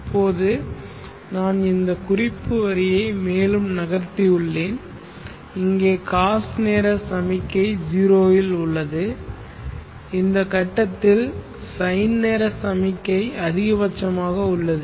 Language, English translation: Tamil, Now I have moved this reference line further and I see that here the cause time signal is at 0 at this point and the sine time signal is at maximum